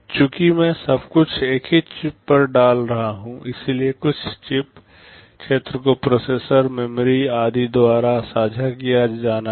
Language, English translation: Hindi, Since I am putting everything on a single chip, the total chip area has to be shared by processor, memory, etc